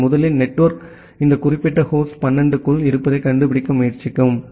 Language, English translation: Tamil, So, first the network will try to find out that well this particular host is inside as 12